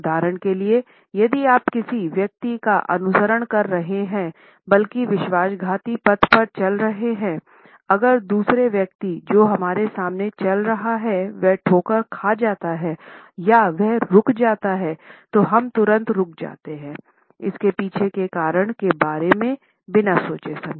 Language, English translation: Hindi, For example, if you are following a person only rather treacherous path; then if the other person who is walking in front of us stumbles or he stops we would immediately stop without consciously thinking about the reason behind it